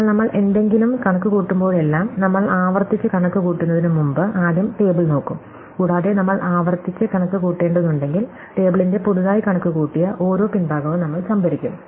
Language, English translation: Malayalam, But, every time we compute something, we will first look up the table before we computed recursively and if we have to computed recursively, then we will store each newly computed back end of the table